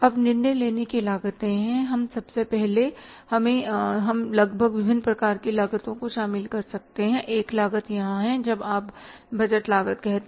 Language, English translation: Hindi, Now, decision making costs are, we, first of all, we can include almost different kind of the costs here